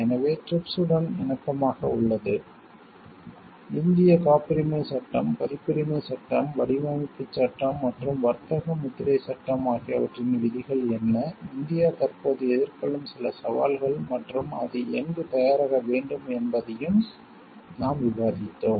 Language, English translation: Tamil, So, that in conformity with the TRIPS; what are the provisions of Indian Patents Act, Copyrights Act, Designs Act and Trade Marks Act, we have also discussed some of the challenges which India presently is facing and where it needs to gear up